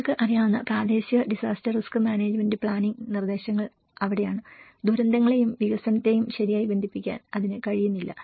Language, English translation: Malayalam, So that is where the local disaster risk management planning guidelines you know, how it is not properly able to connect the disasters and development